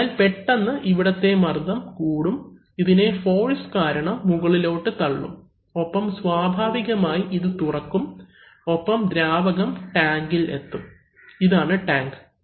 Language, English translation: Malayalam, So, suddenly if the pressure rises is high here, this will be pushed up by that force and naturally this opening will be opened and fluid will drain to tank, this is tank